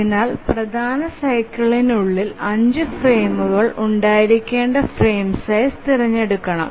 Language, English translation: Malayalam, So the frame size must be chosen such that there must be five frames within the major cycle